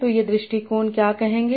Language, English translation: Hindi, So what these approaches will say